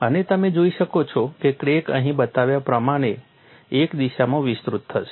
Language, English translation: Gujarati, And you could see that a crack will extend in a direction as shown here